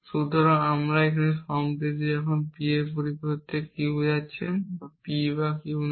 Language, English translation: Bengali, And you can see this is again not P or Q and not Q and not P